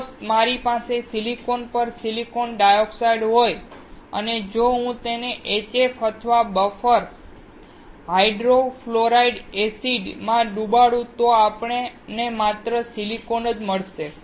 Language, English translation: Gujarati, If I have a silicon dioxide on silicon and if I dip it in HF or buffer hydrofluoric acid, we will find only silicon